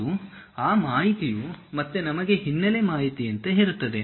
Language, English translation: Kannada, And those information again we will have something like a background information